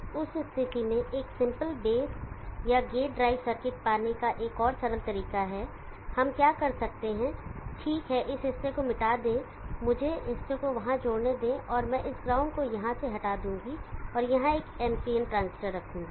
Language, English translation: Hindi, In that case there is yet another simple way to have a simple base or gate drive circuit, what we can do is okay erase this portion let me joint the portion there, and I will remove this ground here and place on NPN transistor here